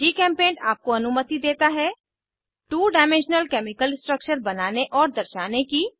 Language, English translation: Hindi, GChemPaint allows you to, Draw and display two dimensional chemical structures